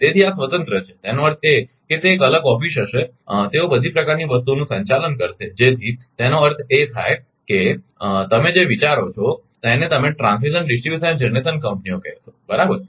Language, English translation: Gujarati, So, this is independent that means, it will be a separate office right that they will handle all sort of things so that means, so that means, little ideas you have that your what you call that transmission distribution and generation companies right